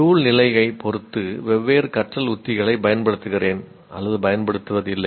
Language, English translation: Tamil, I use, do not use different learning strategies depending on the situation